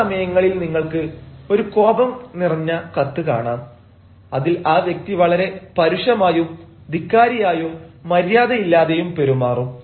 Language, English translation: Malayalam, at times you will find an angry letter comes and the person has become very impudent, very rude